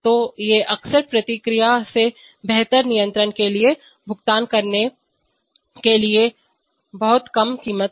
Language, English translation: Hindi, So these are often very low prices to pay for a better control of the process